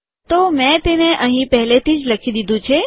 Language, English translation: Gujarati, So I have already written it here